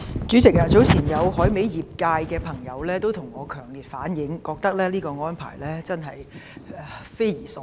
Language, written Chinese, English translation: Cantonese, 主席，早前有來自海味業界的朋友向我強烈反映，認為內地這項安排匪夷所思。, President earlier on some members of the dried seafood industry have strongly relayed to me that they considered the arrangement of the Mainland to be preposterous